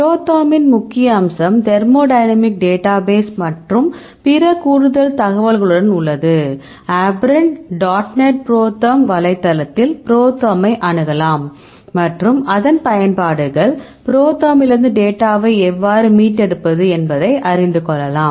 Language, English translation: Tamil, The major aspect of ProTherm is thermodynamic data and supplemented with all the other information, we can access ProTherm in this website, abren dot net ProTherm and, explain the utilities and how to retrieve data from ProTherm